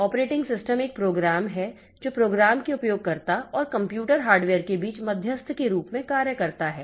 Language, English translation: Hindi, So operating system is a program that acts as an intermediary between a user of a program and the computer hardware